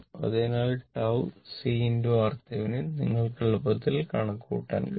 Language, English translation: Malayalam, So, tau is equal to C R Thevenin, you can easily compute, right